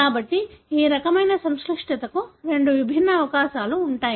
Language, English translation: Telugu, So, there are two different possibilities for this kind of complexity